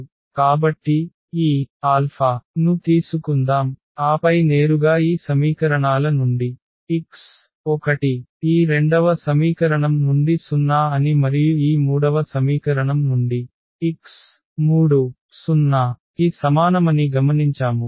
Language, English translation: Telugu, So, let us take this alpha and then directly from these equations we have observe that the x 1 is 0 from this second equation and from this third equation we observe that x 3 is equal to 0